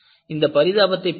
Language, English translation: Tamil, See, this is the pity